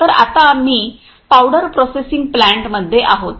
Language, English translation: Marathi, So, right now we are in the powder processing plant